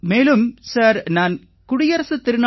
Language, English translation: Tamil, And Sir, I also participated in Republic Day Parade